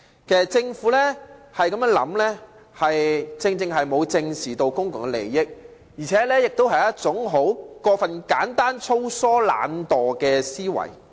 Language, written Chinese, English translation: Cantonese, 其實，政府這種說法，正正顯示它沒有正視公共利益，也是一種過分簡單、粗疏和懶惰的思維。, Actually such a view of the Government has exactly demonstrated that it does not give due regard to public interest . It is also a simplistic rough and lazy kind of mindset